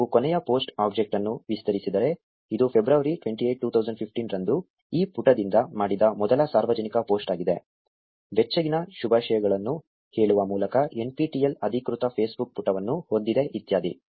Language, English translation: Kannada, So, if you expand the last post object, this was the first ever public post made by this page which was on February 28th 2015, saying warm greetings NPTEL has an official Facebook page etcetera